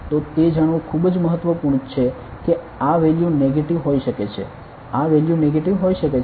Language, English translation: Gujarati, So, very important to know that this value can be negative this value can be negative